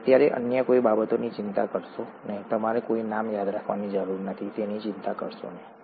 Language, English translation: Gujarati, DonÕt worry about anything else for now, you donÕt have to remember any names, donÕt worry about it